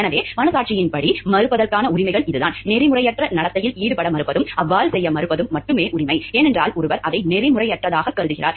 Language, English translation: Tamil, So, the right of conscientious refusal is the right to refuse to engage in any unethical behavior and to refuse to do so solely, because one views it to be unethical